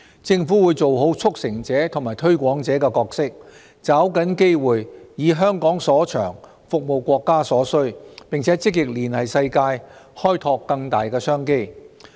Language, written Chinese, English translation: Cantonese, 政府會做好"促成者"和"推廣者"的角色，抓緊機會，以香港所長，服務國家所需，並積極連繫世界，開拓更大商機。, The Government will exert its best as a facilitator and promoter seizing the opportunities to capitalize on Hong Kongs strengths to serve the countrys needs and proactively forge liaison with the world to explore greater business opportunities